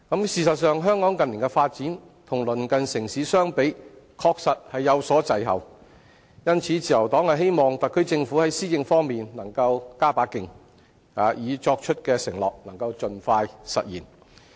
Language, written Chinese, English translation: Cantonese, 事實上，香港近年的發展，與鄰近城市相比，確實有所滯後，因此，自由黨希望特區政府在施政方面能夠加把勁，已作出的承諾能盡快兌現。, In fact in recent years the development of Hong Kong has lagged behind our neighbouring cities . Thus the Liberal Party hopes that the SAR Government will step up its effort in delivering its pledges expeditiously